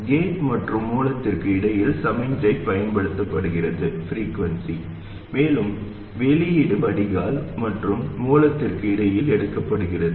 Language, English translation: Tamil, The signal is applied between the gate and source and the output is taken between the drain and source